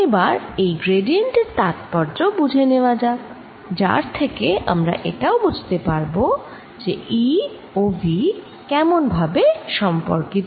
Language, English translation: Bengali, right, let us understand the meaning of this gradient, which will also give us insights into how e and v are related